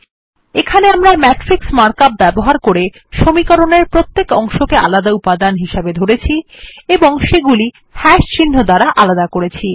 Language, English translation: Bengali, Here, we have used the matrix mark up, treated each part of the equation as an element and separated them by # symbols